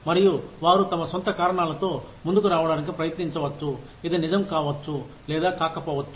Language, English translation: Telugu, And, they may try to come up with their own reasons, which may, or may not be true